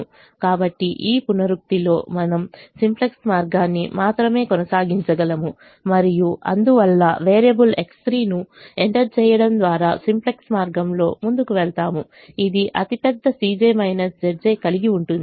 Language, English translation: Telugu, so in this iteration we can proceed only the simplex way and therefore we proceed in the simplex way by entering variable x three which has the largest c j minus z j